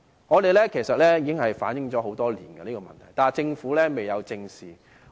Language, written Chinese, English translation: Cantonese, 我們其實已向政府反映這問題多年，但政府卻未有正視。, We have actually relayed this problem to the Government for years but the Government did not address it squarely